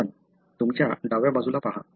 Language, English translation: Marathi, But, look at on your left side